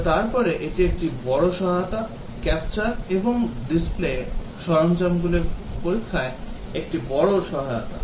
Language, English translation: Bengali, But then, this is a big help, the capture and replay tools are a big help in testing